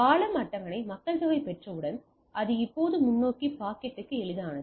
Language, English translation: Tamil, So, once the bridge table is populated than it basically now it is easier to the forward packet